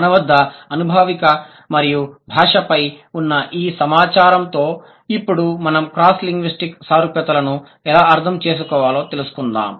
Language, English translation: Telugu, So, with these information on the empirical and linguistic data that we have, now let's find out how does the concept or how should we understand the cross linguistic similarities